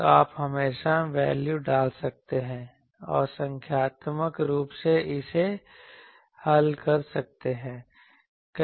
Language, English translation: Hindi, So, you can always put the value and numerically solve it